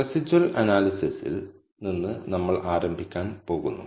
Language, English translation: Malayalam, We are going to start with the residual analysis